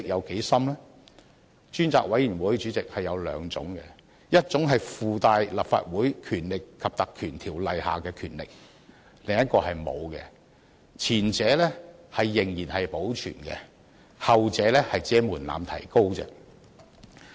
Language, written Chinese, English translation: Cantonese, 主席，專責委員會可分為兩類，一類擁有《立法會條例》賦予的權力，另一類則沒有；前者仍然保存，後者只是提高了門檻。, President there are two kinds of select committees one with powers conferred by the Legislative Council Ordinance and the other without such power . While no amendment has been proposed to the former the threshold for the latter has been increased